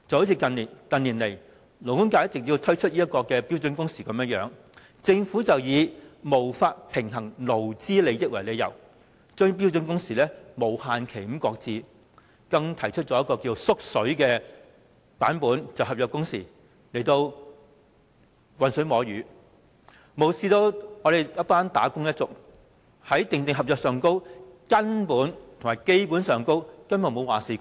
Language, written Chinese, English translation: Cantonese, 以勞工界近年提出的標準工時為例，政府以無法平衡勞資利益為理由，將標準工時無限期擱置，更提出一個"縮水版"的"合約工時"，魚目混珠，無視"打工仔女"在訂定合約時，根本沒有話事權。, Take the proposal for standard working hours put forth by the labour sector in recent years as an example . The Government has shelved the implementation of standard working hours indefinitely on the excuse of the impossibility to balance the interests of employees and employers and substituted it with a downgraded version which is the contractual working hours . This is confusing the sham with the genuine disregarding the fact that wage earners have no say in drawing up the contract